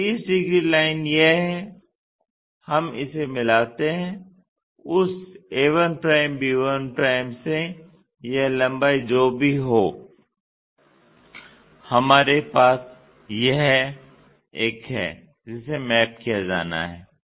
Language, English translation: Hindi, So, 30 degrees line is this let us join it in that a 1', b 1' whatever this length we have this one that one has to be mapped